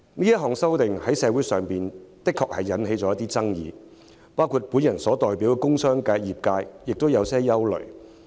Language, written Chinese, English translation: Cantonese, 這項修訂在社會上的確引起爭議，包括我代表的工商業界亦有憂慮。, This amendment exercise has indeed sparked off controversies in society including the industrial and commercial sectors which I represent holding misgivings about it